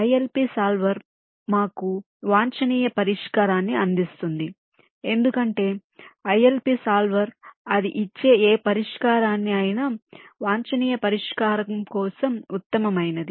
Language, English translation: Telugu, the ilp solver will provide us with the optimum solution, because ilp solver, whatever solution it gives, it, is the best possible for the optimum solution